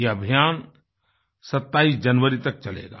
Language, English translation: Hindi, These campaigns will last till Jan 27th